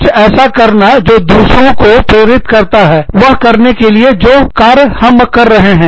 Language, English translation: Hindi, Doing something, that motivates others to do, what we are doing